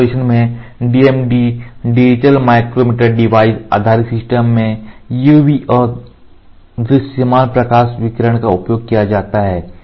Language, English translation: Hindi, In mask projection DMD digital micromirror device based system mask projection system UV and visible light radiations are used